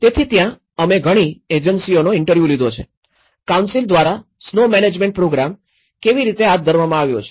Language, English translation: Gujarati, So, there we have interviewed many agencies, how the snow management program has been conducted by the council